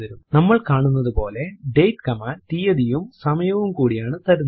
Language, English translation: Malayalam, As we can see the date command gives both date and time